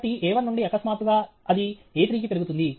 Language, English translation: Telugu, So, from A one suddenly it is increased to A three